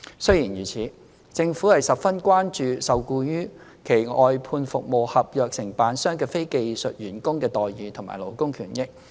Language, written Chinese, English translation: Cantonese, 雖然如此，政府十分關注受僱於其外判服務合約承辦商的非技術員工的待遇和勞工權益。, Despite the above the Government is very concerned about the employment terms and conditions as well as the labour benefits of non - skilled employees engaged by government service contractors